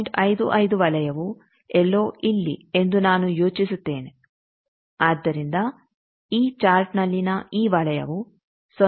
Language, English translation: Kannada, 55 circle will be somewhere I think here, so this circle in this chart this is something 0